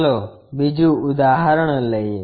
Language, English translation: Gujarati, Let us take another example